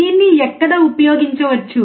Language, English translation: Telugu, Where can it be used